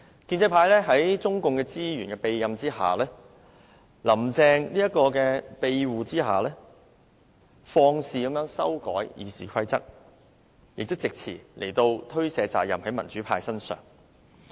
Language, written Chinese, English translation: Cantonese, 建制派在中共資源和"林鄭"的庇護下，肆意修改《議事規則》，並藉詞將責任推卸到民主派身上。, Under the protection of CPC resources and Carrie LAM the pro - establishment camp wantonly amends the Rules of Procedure and makes up excuses to shirk responsibilities onto the democrats